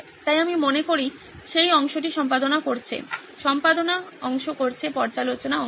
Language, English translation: Bengali, So I think that part is editing, doing the editing part, review part